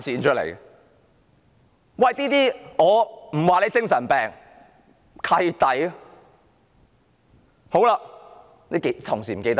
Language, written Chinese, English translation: Cantonese, 我不說他是精神病，但我會說是"契弟"。, I am not saying that he is nuts but I would say that he is a jerk